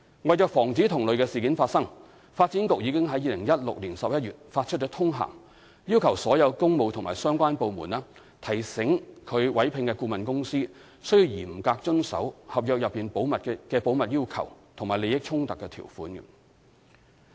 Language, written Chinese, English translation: Cantonese, 為防止同類事件發生，發展局已於2016年11月發出通函，要求所有工務及相關部門提醒其委聘的顧問公司須嚴格遵守合約內的保密要求和利益衝突條款。, To prevent the recurrence of similar incidents the Development Bureau issued a memorandum in November 2016 requesting all works and related departments to remind consultants employed by them to comply strictly with the confidentiality and conflict of interest provisions in consultancy agreements